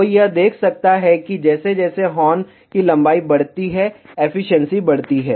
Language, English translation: Hindi, One can see that as the horn length increases efficiency increases